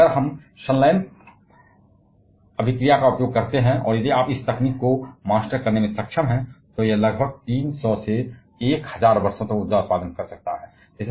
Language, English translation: Hindi, But if we use the fusion reaction and if you are able to master this technology, that can provide energy for about 300 1000 years